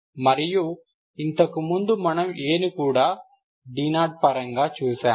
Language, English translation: Telugu, And earlier we have seen A also in terms of d naught